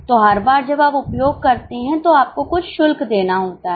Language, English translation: Hindi, So, every time you use you have to pay some fee